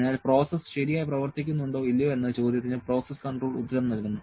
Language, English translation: Malayalam, So, process control answers the question whether the process is functioning properly or not